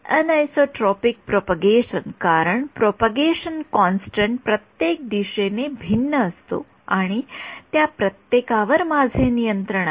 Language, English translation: Marathi, Anisotropic propagation because propagation constant is different in every direction and; I have control over each one of those